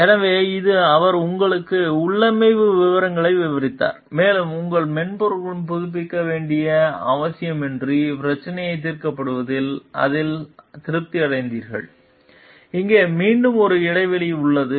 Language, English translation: Tamil, So, this he described the configuration to you in details and you were satisfied that the issue was solved without need to update your software, here lies again a gap